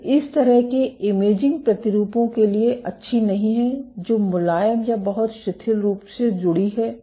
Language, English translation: Hindi, So, this kind of imaging is not good for samples which are soft or very loosely attached